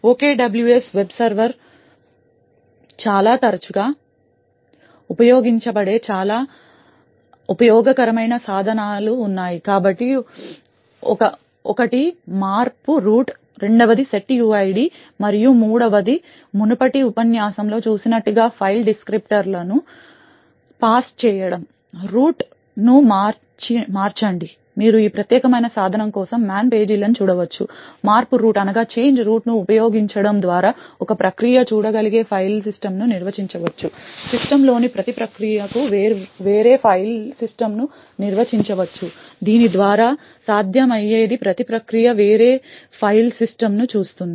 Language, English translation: Telugu, Essentially there are three very useful tools that is used quite often by the OKWS web server, so one is the change root, the second is the setuid and the third as we have seen in our previous lecture is the use of passing file descriptors, the change root you can actually look up the man pages for this particular tool would define the file system for what a process can see by using the change root one can define a different file system for every process in the system thus what is possible by this is that every process would see a different file system